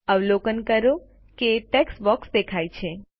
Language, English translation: Gujarati, Observe that a text box appears